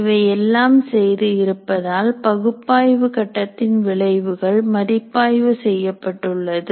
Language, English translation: Tamil, And having done all this, the output of the analysis phase is peer reviewed